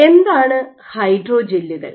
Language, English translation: Malayalam, What are hydrogels